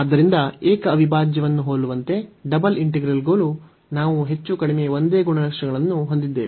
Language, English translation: Kannada, So, similar to the single integral, we have more or less the same properties for the double integral as well